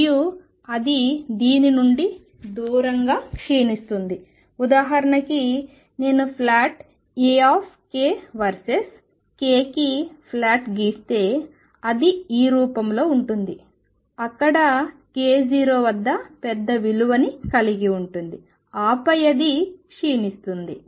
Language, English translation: Telugu, And it decays away from this So for example, it could be of the form if I go to plot A k verses k it could be of the form this is suppose k naught it is largest there and then the decays